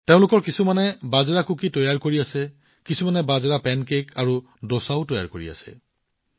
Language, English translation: Assamese, Some of these are making Millet Cookies, while some are also making Millet Pancakes and Dosa